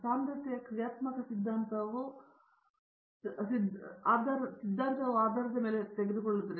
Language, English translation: Kannada, Density functional theory takes from the basis okay